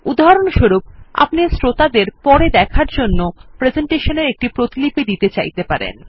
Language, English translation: Bengali, For example, you may want to give copies of your presentation to your audience for later reference